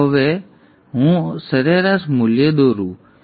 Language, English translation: Gujarati, So let me now draw the average value